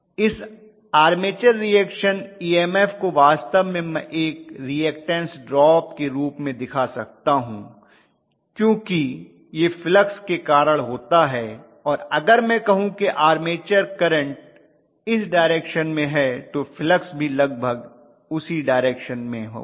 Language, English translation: Hindi, This armature reaction EMF actually I can specify as a reactance drop as simple as that because after all it is due to flux and if I say armature reaction, armature current is probably along this direction the flux will also be along the same direction roughly